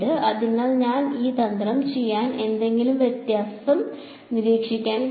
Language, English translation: Malayalam, So, if I did this trick will observer to know any difference